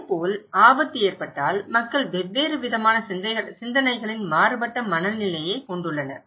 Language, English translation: Tamil, Similarly, in case of risk people have very different mindset of different way of thinking